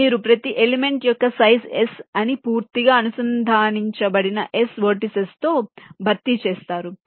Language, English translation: Telugu, you replace each element of a size s with s vertices which are fully connected